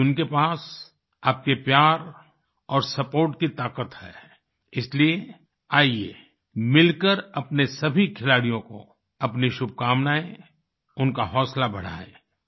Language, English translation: Hindi, Today, they possess the strength of your love and support that's why, come…let us together extend our good wishes to all of them; encourage them